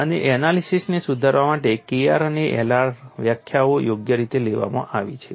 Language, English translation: Gujarati, And to refine the analysis, the K r and L r definitions are suitably taken